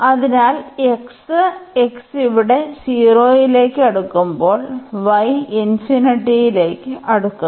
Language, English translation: Malayalam, So, x, when x was approaching to 0 here, the y is approaching to infinity